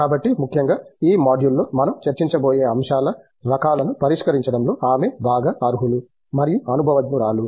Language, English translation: Telugu, So particularly, she is well qualified and well experienced in addressing the types of aspects that we are going to discuss in this module